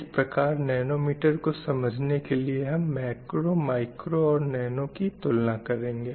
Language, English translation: Hindi, So to understand the nanoscale, let us have a comparison between macro, micro and nanoscale